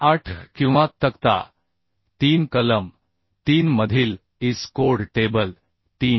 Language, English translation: Marathi, 8 of or table 3 in the IS code table 3 in clause 3